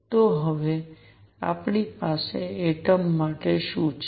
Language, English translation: Gujarati, So, what do we have for an atom now